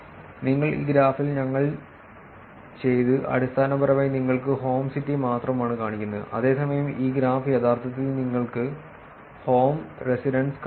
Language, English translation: Malayalam, Now what we did in this graph is basically showing you only the home city, whereas this graph is actually showing you the home residence